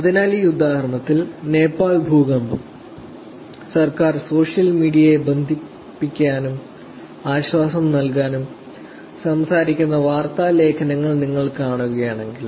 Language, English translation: Malayalam, So in this example, if you see news articles which came of talking about ‘Nepal earthquake: Government using social media to connect and provide relief’